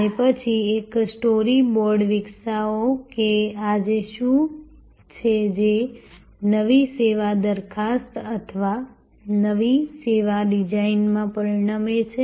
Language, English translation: Gujarati, And then, develop a story board that what is today and what if and resulting into the new service proposal or new service design